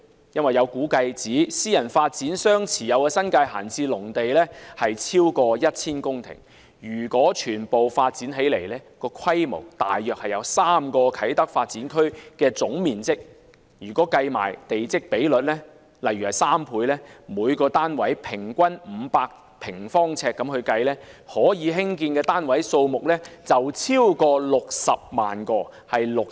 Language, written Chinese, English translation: Cantonese, 有估計指，私人發展商持有的新界閒置農地超過 1,000 公頃，如果全部發展起來，規模大約為3個啟德發展區的總面積，如果計算地積比率，例如3倍，以每個單位平均500平方呎計算，可興建的單位數目超過60萬個。, It is estimated that private developers own more than 1 000 hectares of idle agricultural land in the New Territories . If all developed the scale will be equivalent to three times the total area of the Kai Tak Development Area . Take a plot ratio of 3 and an average of 500 sq ft per unit as an example more than 600 000 units can be built